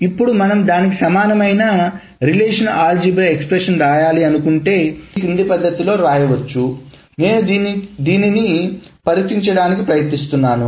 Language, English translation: Telugu, Now if you want to write it the equivalent relational algebra expression, it can be written in the following manner